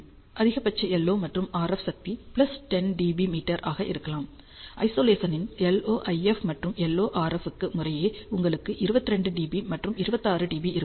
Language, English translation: Tamil, The maximum LO and RF power can be plus 10 dBm, at Isolation you have 22 dB and 26 dB for LO IF and LO RF respectively